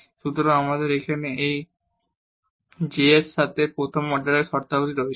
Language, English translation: Bengali, So, we have the first order terms here with this h